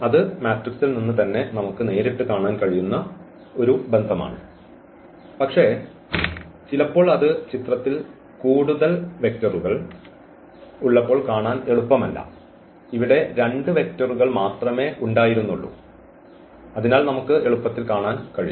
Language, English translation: Malayalam, So, that is a relation which we can clearly see from directly from the matrix itself because, but sometimes it is not easy to see when we have more vectors into picture here there were two vectors only, so we can see easily